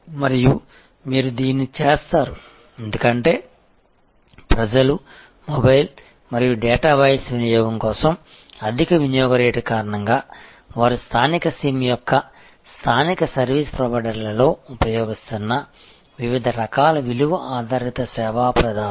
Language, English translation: Telugu, And this you will do because people, because of that high usage rate high charges for mobile and data voice usage they have been using other in a local sim’s local service providers are different other types of value added service provider